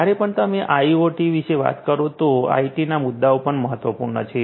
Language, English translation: Gujarati, So, whenever you are talking about IoT, then IT issues are important